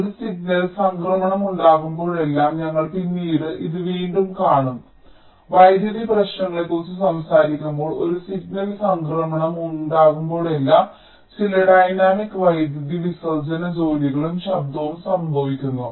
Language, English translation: Malayalam, and whenever there is a signal transition we shall again be seeing this later when we talk about power issues that whenever there is a signal transition, some dynamic power dissipation work um occurs, ok, and also noise